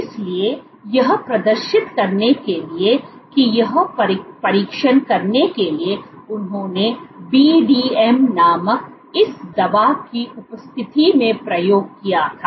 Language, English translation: Hindi, So, to demonstrate that or to test that what they did was they did experiments in the presence of this drug called BDM